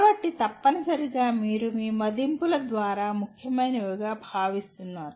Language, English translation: Telugu, So essentially you are telling through your assessments what is considered important